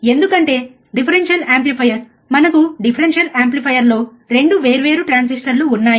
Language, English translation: Telugu, Because the differential amplifier we have a 2 different transistors in the differential amplifier